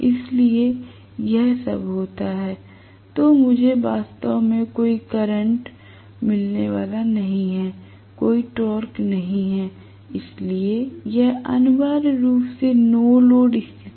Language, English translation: Hindi, If at all it happens, then I am going to have really no rotor current at all, no torque at all, so it is essentially no load condition